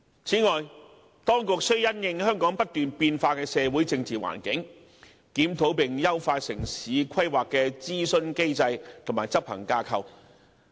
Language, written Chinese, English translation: Cantonese, 此外，當局須因應香港不斷變化的社會政治環境，檢討並優化城市規劃諮詢機制及執行架構。, Furthermore the authorities have to review and enhance the consultation mechanism and implementation structure related to urban planning in light of the evolving socio - political environment in Hong Kong